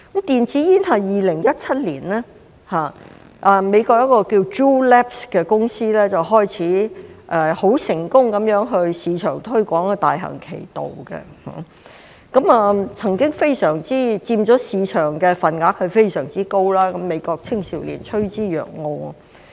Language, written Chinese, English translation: Cantonese, 電子煙是在2017年，美國一間名為 Juul Labs 的公司開始成功在市場推廣，大行其道，曾經佔非常高的市場份額，美國青少年趨之若鶩。, After being successfully launched on the market in 2017 by a company called Juul Labs in the United States e - cigarettes became very popular and had a very high market share . American teenagers were attracted to them